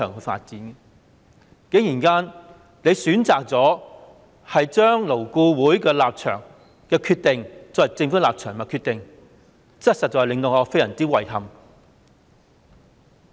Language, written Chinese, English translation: Cantonese, 局長竟然選擇將勞顧會的立場和決定，作為政府的立場和決定，實在令我非常遺憾。, The Secretary has surprisingly chosen to take the position and decision of LAB as the position and decision of the Government . I truly find this highly regrettable